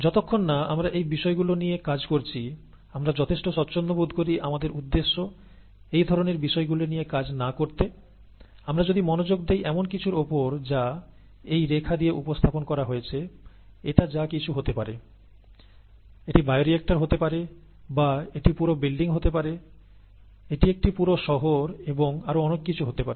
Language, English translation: Bengali, As long as we are not dealing with these things; we are quite comfortable not dealing with these things for our purposes, then, if we focus our attention on something which is represented by these dotted these dashes, this could be anything, this could be a bioreactor (())(, this could be the entire building, this could be an entire city and so on and so forth